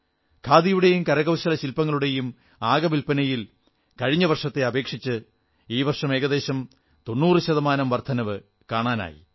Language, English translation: Malayalam, Compared to last year, the total sales of Khadi & Handicrafts have risen almost by 90%